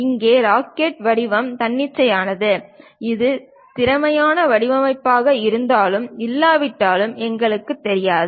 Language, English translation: Tamil, Here the rocket shape is arbitrary, whether this might be efficient design or not, we may not know